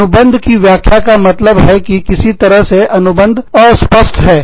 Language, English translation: Hindi, Contract interpretation means that, somehow, the contract is vague